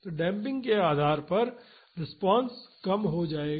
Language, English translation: Hindi, So, depending upon the damping the response will reduce